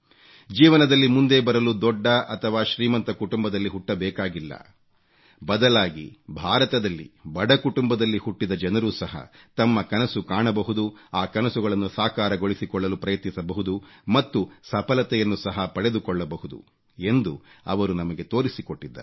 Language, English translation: Kannada, He showed us that to succeed it is not necessary for the person to be born in an illustrious or rich family, but even those who are born to poor families in India can also dare to dream their dreams and realize those dreams by achieving success